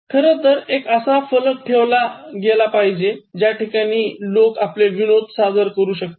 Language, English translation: Marathi, In fact, one board where you let people to come and display any good joke